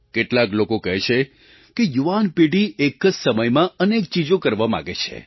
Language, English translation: Gujarati, Some people say that the younger generation wants to accomplish a many things at a time